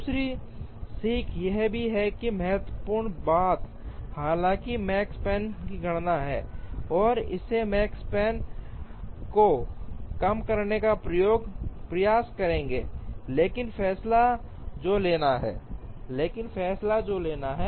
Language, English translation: Hindi, The other learning also is that the important thing though is the computation of the makespan, and try to minimize the makespan, but the decision that has to be taken